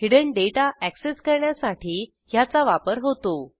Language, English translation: Marathi, It is used to access the hidden data